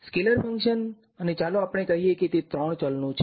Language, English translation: Gujarati, Scalar function and let us say it is of three variables